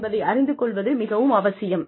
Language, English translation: Tamil, Very important to know this